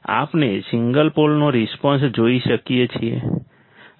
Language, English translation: Gujarati, we can see the response of single pole